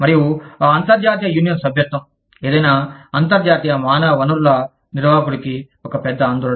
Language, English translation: Telugu, And, that international union membership, is one big concern, for any international human resources manager